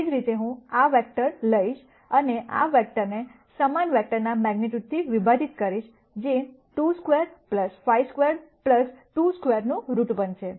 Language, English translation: Gujarati, Similarly, I can take this vector and divide this vector by the magnitude of the same vector, which is going to be root of 2 squared plus 5 squared plus 2 squared